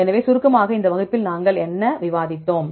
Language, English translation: Tamil, So, in summarize, what did we discuss in this class